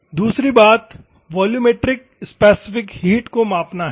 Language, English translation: Hindi, The second thing is to measure volumetric specific heat